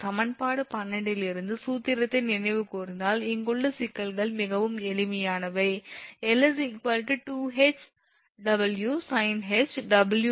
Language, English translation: Tamil, Problems here are quite simple if you can recall those formula from equation – 12, we know l is equal to 2H upon W sin hyperbolic WL upon 2H